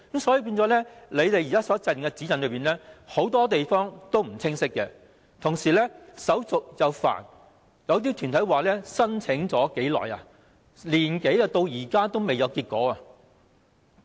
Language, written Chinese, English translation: Cantonese, 所以，政府現時的指引很多地方並不清晰，同時手續又繁複，有些團體表示已申請了1年多，至今仍未有結果。, Therefore the existing guidelines of the Government are very unclear and the procedures are complicated . Some organizations indicated that they have submitted their application for more than a year but the result is still pending